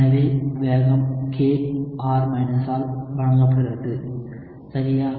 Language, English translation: Tamil, So, the rate is given by k [R ] alright